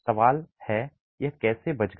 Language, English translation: Hindi, Question is how did it survive